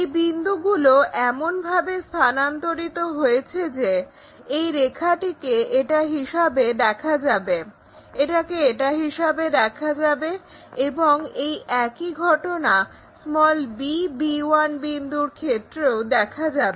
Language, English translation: Bengali, So, these point these points transferred in such a way that this line maps to that, this one maps to that and whatever the b b 1 points and so on